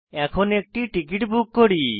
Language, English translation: Bengali, So let us buy a ticket now